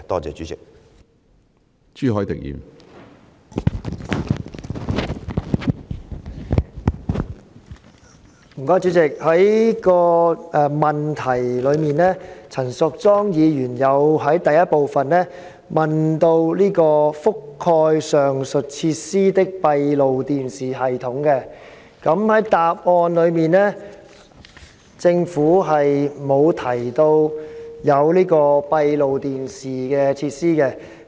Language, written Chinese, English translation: Cantonese, 陳淑莊議員在主體質詢的第一部分問及"覆蓋上述設施的閉路電視系統"，但政府在主體答覆卻沒有提到有閉路電視設施。, In part 1 of the main question Ms Tanya CHAN asked about the closed - circuit television systems covering the aforesaid facilities but the Government has not mentioned any closed - circuit television system in its main reply